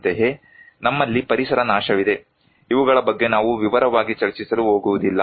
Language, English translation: Kannada, Similarly, we have environmental degradations; we are not going to discuss in detail of these